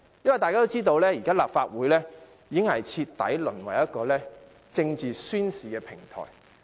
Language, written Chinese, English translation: Cantonese, 因為大家也知道，現在的立法會已徹底淪為一個政治宣示的平台。, Because all of us know that the Legislative Council has already reduced to a platform for the manifestation of political stance